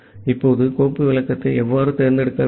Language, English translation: Tamil, Now, how do you pass the file descriptor to select